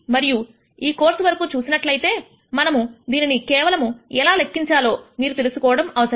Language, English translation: Telugu, And as far as this course is concerned you just need to know that we can compute this